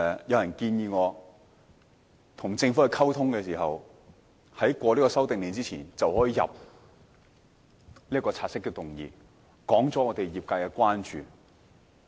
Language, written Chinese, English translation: Cantonese, 有人建議，我可在政府的《修訂令》獲得通過之前，先提交察悉議案，指出業界的關注。, I was then advised that prior to the passage of the amendment order I could raise a take - note motion to voice the concerns of the industry